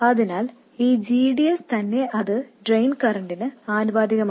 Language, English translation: Malayalam, So the GDS itself is proportional to the drain current